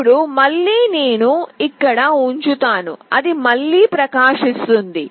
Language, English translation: Telugu, Now again I will put it up here, it is again glowing